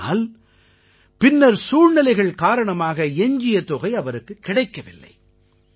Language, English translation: Tamil, However, later such circumstances developed, that he did not receive the remainder of his payment